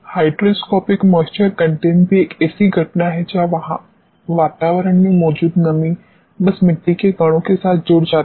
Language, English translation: Hindi, Hygroscopic moisture content also is a phenomenon where the moisture present in atmosphere simply gets associated with the grains of the soil